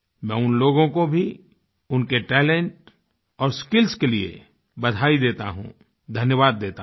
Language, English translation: Hindi, I congratulate and thank those persons for their talent and skills